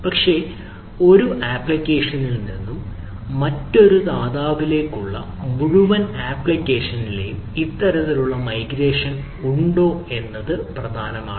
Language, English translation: Malayalam, but whether this type of migration on the whole application from the one provider to another provider that is may be there